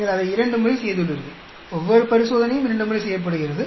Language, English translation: Tamil, You have done it twice; each experiment is done twice